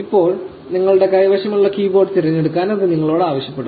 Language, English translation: Malayalam, Now, it will ask you to select the keyboard that you have